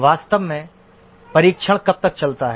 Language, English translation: Hindi, In reality, how long does testing go on